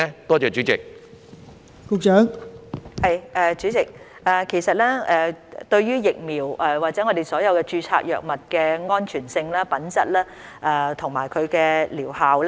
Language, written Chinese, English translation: Cantonese, 代理主席，衞生署非常關注疫苗或所有註冊藥物的安全性、品質和療效。, Deputy President DH is actually very concerned about the safety quality and efficacy of vaccines and all registered pharmaceutical products